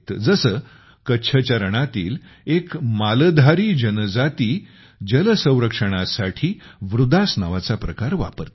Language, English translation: Marathi, For example, 'Maldhari', a tribe of "Rann of Kutch" uses a method called "Vridas" for water conservation